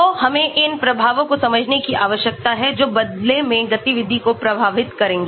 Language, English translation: Hindi, so we need to understand these effects of these which in turn will affect the activity